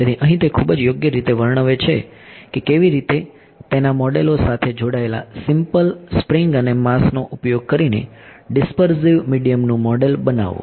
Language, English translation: Gujarati, So, here he describes very properly what how do you model the dispersive medium using a simple spring and mass attached to it models